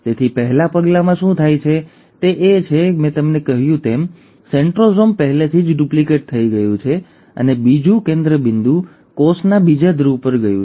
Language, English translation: Gujarati, So what happens in the first step is that as I mentioned, the centrosome has already duplicated and the other centrosome has gone to the other pole of the cell